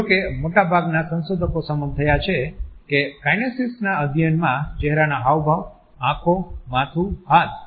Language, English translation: Gujarati, However, most of the researchers agree that the study of kinesics include facial expressions, movement of eyes, head, hand, arms, feet and legs